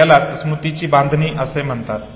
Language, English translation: Marathi, This is called memory construction